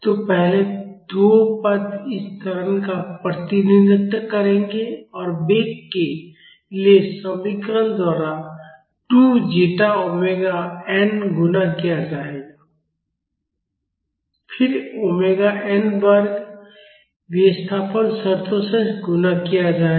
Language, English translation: Hindi, So, the first 2 terms will represent this acceleration and 2 zeta omega n multiplied by the expression for velocity then omega n square multiplied by the displacement terms